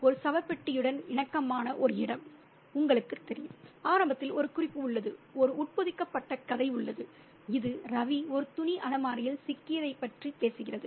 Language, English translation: Tamil, It's a claustrophobic space, a space which is comparable to a coffin, you know, and early on there is a reference, there's an embedded narrative which talks about Ravi being caught in a linen cupboard